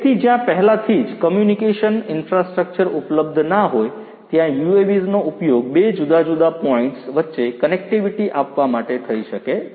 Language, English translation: Gujarati, So, where existing communication infrastructure is not already there UAVs could be used to offer connectivity between two different points